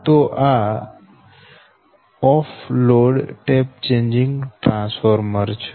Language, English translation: Gujarati, so this is your off load tap changing transformer